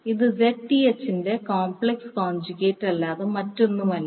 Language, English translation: Malayalam, This is nothing but the complex conjugate of Zth